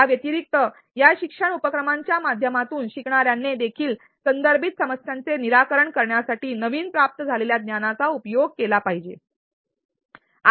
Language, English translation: Marathi, Additionally through these learning activities, learner should also be made to apply the newly acquired knowledge in solving contextualized problems